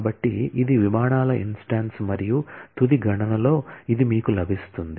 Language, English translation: Telugu, So, this is the instance of the flights and on the final computation, this is what you get